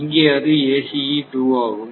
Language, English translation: Tamil, So, this is actually your ACE 2